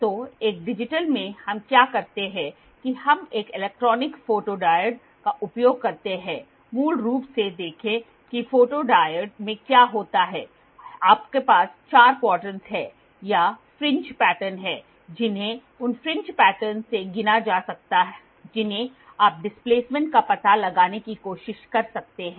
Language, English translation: Hindi, So, in a digital what we do is we use an electronic photodiode see basically what happens in all the photodiode you have 4 quadrants or there are fringe prints patterns which can be counted from those fringes pattern you can try to find out the displacement